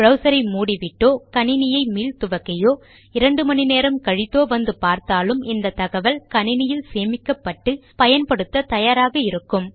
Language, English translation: Tamil, And again if I close my browser or restart my computer or come back two hours later, this information will still be there stored on this computer ready to be used by this page